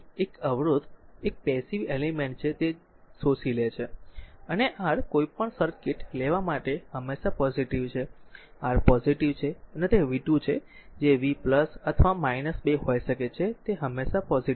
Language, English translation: Gujarati, So, p is equal to vi a resistor is a passive element it absorbed power, and R is always positive for any circuit you take R is positive, and it is v square whatever may be the v plus or minus is square means always positive